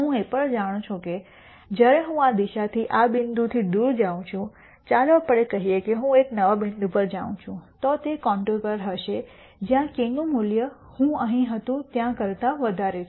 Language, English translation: Gujarati, I also know that as I go away from this point in this direction, let us say I go to a new point, then that would be on a contour where the value of k is larger than where I was here